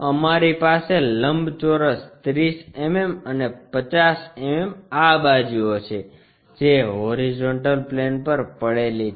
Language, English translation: Gujarati, We have a rectangle 30 mm and 50 mm these are the sides, resting on horizontal plane